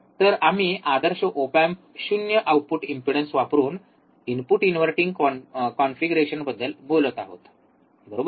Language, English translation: Marathi, So, we are talking about input inverting configuration using ideal op amp 0 output impedance, right